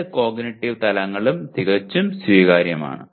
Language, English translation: Malayalam, Perfectly acceptable in both the cognitive levels